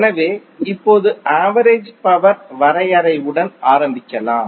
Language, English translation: Tamil, So now let’s start with the average power definition